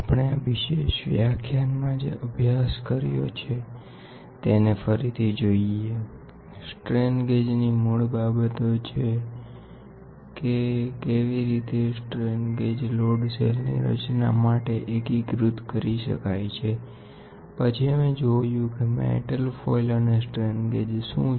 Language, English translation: Gujarati, To recap what we studied in this particular lecture is basics of strain gauge how strain gauges can be integrated together to form a load cell, then we saw what is metal foil strain gauges